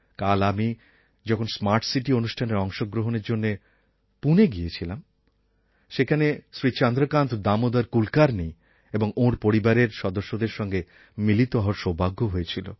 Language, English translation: Bengali, Yesterday when I went to Pune for the Smart City programme, over there I got the chance to meet Shri Chandrakant Damodar Kulkarni and his family